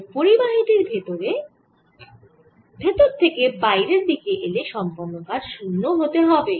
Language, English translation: Bengali, therefore, if we go from inside the metal or conductor, work done is zero